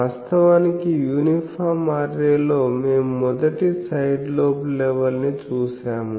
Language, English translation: Telugu, Actually, in an uniform array, we have seen the 1st side lobe level